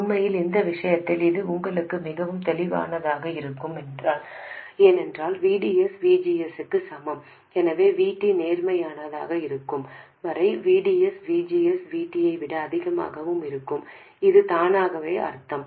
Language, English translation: Tamil, Actually, in this case it must be pretty obvious to you because VDS equals VGS, so this automatically means that VDS will be greater than VGS minus VT as long as VT is positive